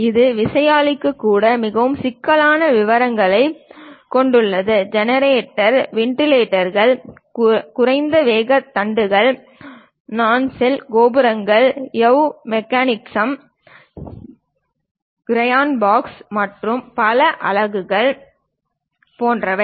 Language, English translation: Tamil, Which contains very complicated details even for the turbine something like a generator, wind vanes, low speed shafts, nacelle, towers, yaw mechanism, gearbox and many units, each unit has to be assembled in a proper way also